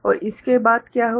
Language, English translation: Hindi, And after that what happens